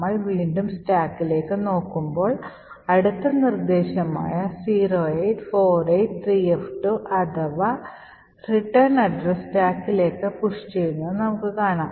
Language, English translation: Malayalam, So we would look at the stack again and we will see that the next instruction 08483f2 which is the return address is pushed on to the stack